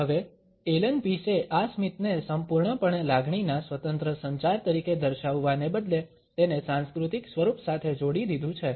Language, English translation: Gujarati, Now, Allan Pease instead of illustrating this grin completely as an independent communication of emotion has linked it with a cultural pattern